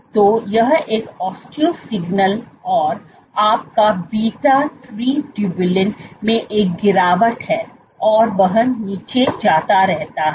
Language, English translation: Hindi, So, this is an osteo signal and your beta three tubulin keeps going down there is a drop